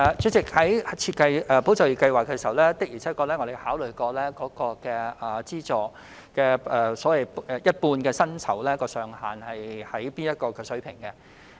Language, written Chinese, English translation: Cantonese, 主席，在設計"保就業"計劃時，我們的確曾考慮資助一半薪酬的上限應設在甚麼水平。, President in designing ESS we have indeed considered the wage cap to be set for subsidizing half of the wage